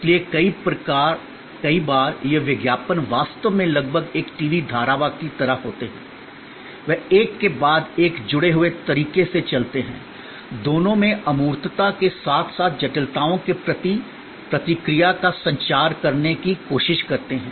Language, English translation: Hindi, So, many times these ads actually are almost like a TV serial, they go one after the other in a linked manner, trying to communicate both response to abstractness as well as response to complexities that may be involved